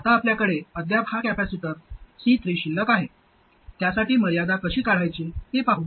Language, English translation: Marathi, Now, we still have this capacitor C3 that is left